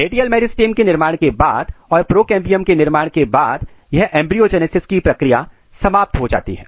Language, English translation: Hindi, Radial meristem is established, the procambium is established and then this embryogenesis has stopped